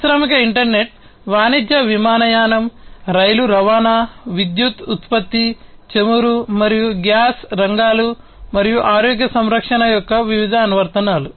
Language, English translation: Telugu, Different applications of the industrial internet commercial aviation, rail transportation, power production, oil and gas sectors, and healthcare